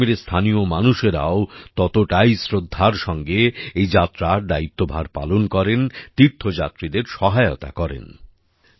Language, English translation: Bengali, The local people of Jammu Kashmir take the responsibility of this Yatra with equal reverence, and cooperate with the pilgrims